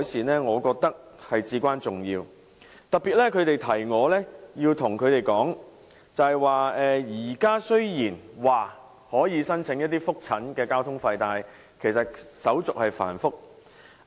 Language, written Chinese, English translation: Cantonese, 他們提醒我要特別向政府當局指出，現時雖然可以申請覆診的交通津貼，但手續繁複。, They have reminded me to raise one particular point with the Administration . While they may apply for transport subsidies for their follow - up consultations at present the application procedure is cumbersome